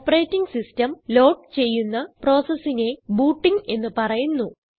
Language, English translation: Malayalam, The whole process of loading the operating system is called booting the computer